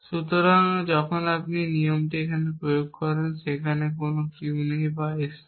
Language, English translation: Bengali, So, when you apply this same rule here there is no Q and there is no S